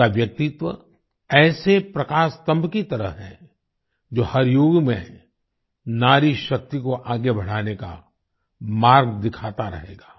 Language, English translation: Hindi, Their personality is like a lighthouse, which will continue to show the way to further woman power in every era